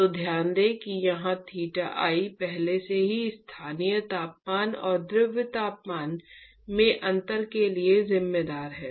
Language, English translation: Hindi, So, note that here theta I already account for the difference in the local temperature and the fluid temperature